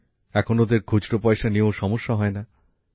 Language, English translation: Bengali, Now they don't even have a problem of loose change